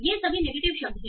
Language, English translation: Hindi, These are all negative words